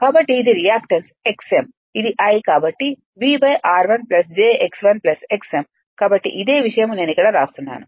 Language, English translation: Telugu, So, this is the reactance x m into this I so; that means, into v divided by r 1 plus j x 1 plus x m right that is why V Thevenin right this is why V Thevenin